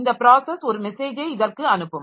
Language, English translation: Tamil, So, this process will send a message to this one